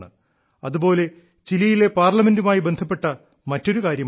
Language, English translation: Malayalam, By the way, there is another aspect about the Chilean Parliament, one which will interest you